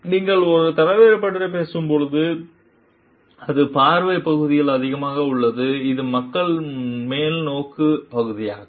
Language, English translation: Tamil, Like when you are talking of leader, it is more on the vision part, it is on the people orientation part